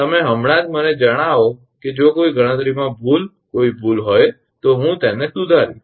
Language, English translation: Gujarati, You just let me know that if there is any error in any calculation error then I will rectify that